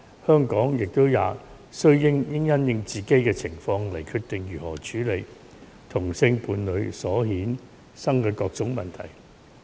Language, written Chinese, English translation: Cantonese, 香港也須因應自己的情況，決定如何處理同性伴侶所衍生的各種問題。, Hong Kong should deal with all sorts of problems arising from same - sex couples according to its own circumstances